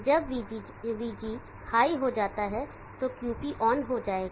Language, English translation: Hindi, So when VG goes high, QP will turn on